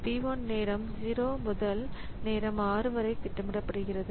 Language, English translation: Tamil, So, P 1 gets scheduled from time 0 to time 6